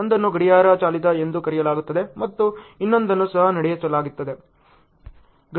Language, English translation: Kannada, One is called the clock driven and the other one is even driven